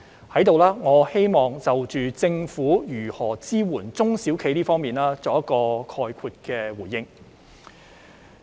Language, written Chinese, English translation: Cantonese, 我在此希望就政府如何支援中小企方面作概括的回應。, Here I would like to give a general response regarding the support provided by the Government to small and medium enterprises SMEs